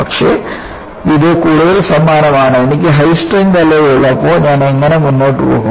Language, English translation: Malayalam, But, this is more like, when I have a high strength alloy, how do I go about and pick out